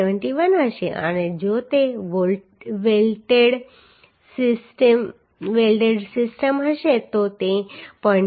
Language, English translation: Gujarati, 7l and if it is welded system it will be 0